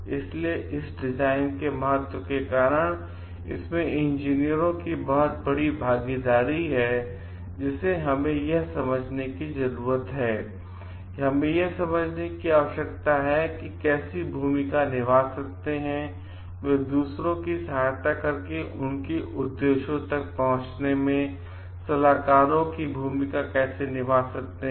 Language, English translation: Hindi, So, because of this importance of the design, they are and there is the great involvement of the engineers, who we need to understand that; we need to understand how they may play role, how they may play the role of advisors by helping others to like reach certain objectives